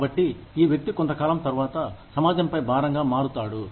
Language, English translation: Telugu, So, this person, becomes a burden on society, after a while